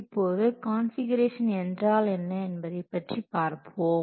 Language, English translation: Tamil, So let's see what is configuration management